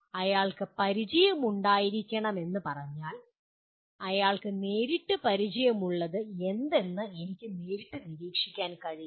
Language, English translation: Malayalam, If he merely say he should be familiar with I cannot directly observe what he is familiar with directly